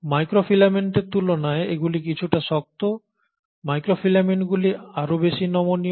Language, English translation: Bengali, So compared to microfilament these are a little more rigid, but then microfilaments are far more flexible